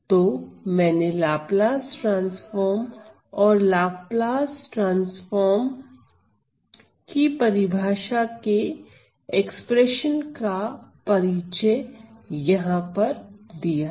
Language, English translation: Hindi, So, I have introduced the Laplace transform and the definition of Laplace transform in this expression here